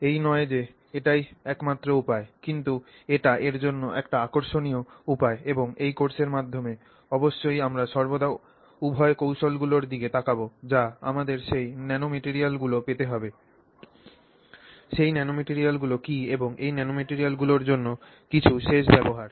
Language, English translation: Bengali, It is not the only way you can get it but it is an interesting way to get it and through this course we are always looking at you know both the techniques to get us those nanomaterials, what those nanomaterials are and some end use for those nanomaterials